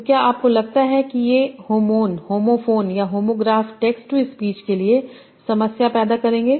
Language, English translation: Hindi, So do you think these homophones or homographs would create a problem for text to speech